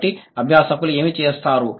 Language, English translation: Telugu, So, what do the learners do